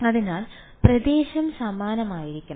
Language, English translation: Malayalam, So, the area should be the same